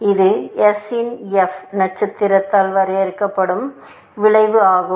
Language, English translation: Tamil, This is the curve which is defined by f star of s